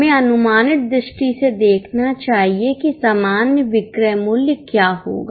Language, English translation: Hindi, Let us see notionally what would be the normal selling price